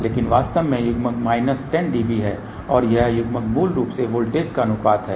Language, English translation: Hindi, But in reality coupling is minus 10 db and this coupling is basically ratio of voltages